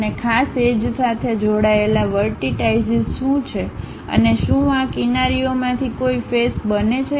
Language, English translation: Gujarati, And what are the vertices associated with particular edges and are there any faces forming from these edges